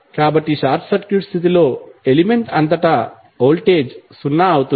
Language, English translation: Telugu, So, it means that under short circuit condition the voltage across the element would be zero